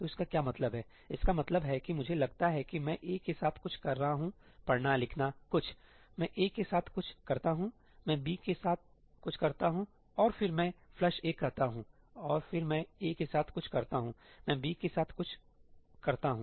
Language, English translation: Hindi, So, what does that mean that means that suppose I am doing something with ëaí: reading, writing, something; I do something with ëaí, I do something with b, right, and then I say ëflush aí and then I do something with ëaí, I do something with ëbí